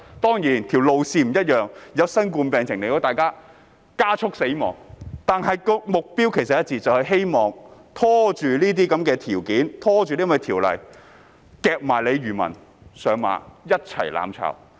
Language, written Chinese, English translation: Cantonese, 當然，路線並不一樣，因為新型冠狀病毒疫情的出現，加速大家"死亡"，但目標其實是一致的，就是希望拖延審議法案，甚至把漁民"夾上馬"，一起"攬炒"。, Certainly the course of development may differ . The outbreak of coronavirus has expedited our death . Nonetheless their objectives are the same for they hope to delay the examination of Bills and even drag fishermen into mutual destruction